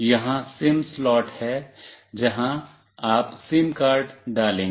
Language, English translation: Hindi, Here is the SIM slot, where you will put the SIM card